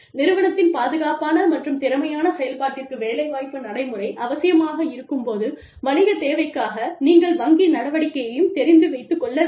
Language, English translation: Tamil, You may also be, able to bank on, business necessity, when the employment practice is necessary, for the safe and efficient operation, of the organization